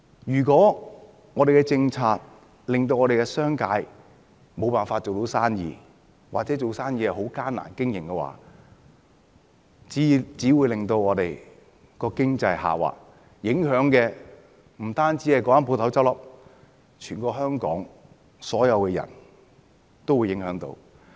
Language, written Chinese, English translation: Cantonese, 如果我們的政策令商界無法做生意，或者生意經營困難的話，只會令我們的經濟下滑，不止影響到該間公司結業，全香港所有人也會受影響。, If the business sector is unable to do business or faces operating difficulties because of our policies it will only result in a slump in our economy . In that case not only the relevant companies will close down everyone in Hong Kong will also be affected